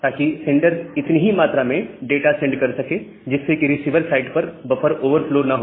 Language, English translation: Hindi, So the sender can send that much amount of data, so that buffer overflow does not occur from the receiver side